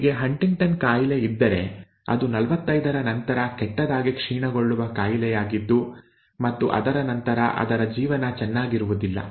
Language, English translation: Kannada, If they have HuntingtonÕs disease then it is a badly degenerative disease that sets in after 45 and its bad life after that